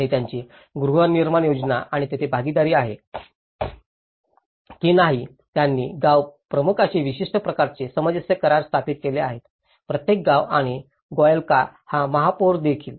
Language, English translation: Marathi, And they have partnership with the housing scheme and here, that they have established certain kind of memorandum of understanding with the head of the village; each village and also by the mayor of Golyaka